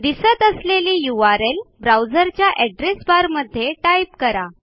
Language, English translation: Marathi, In a web browser address bar, type the URL shown on the screen